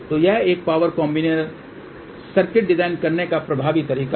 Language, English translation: Hindi, So, this is the 1 of the effective way of designing a power combiner circuit